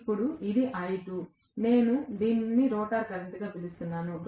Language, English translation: Telugu, Now, this is I2, I am calling this as the rotor current